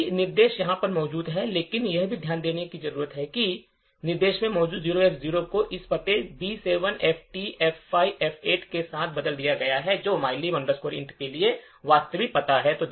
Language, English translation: Hindi, The same instructions are present over here but also notice that the 0X0 which is present in this instruction is replaced with this address B7FTF5F8, which is the actual address for mylib int